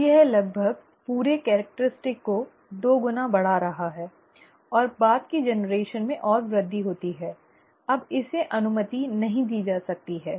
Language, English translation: Hindi, Now that is almost increasing the entire characteristic by two fold and in the subsequent generation further increases, now that cannot be allowed right